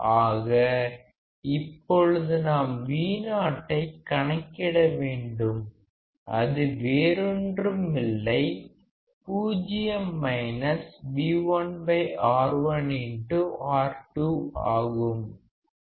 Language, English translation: Tamil, So, if I want to measure Vo; it is nothing, but 0 minus V1 by R1 into R2